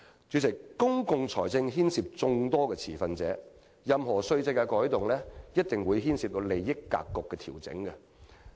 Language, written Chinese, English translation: Cantonese, 主席，公共財政牽涉眾多持份者，任何稅制改動一定會牽涉利益格局的調整。, President many stakeholders are involved in the management of public finance . Any change in the tax regime will definitely change the distribution of benefits in society